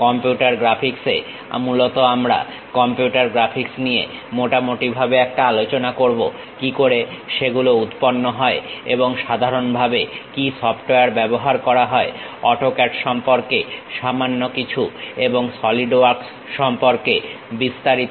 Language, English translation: Bengali, In computer graphics, we mainly cover overview of computer graphics, how they have originated and what are the commonly used softwares; little bit about AutoCAD and in detail about SolidWorks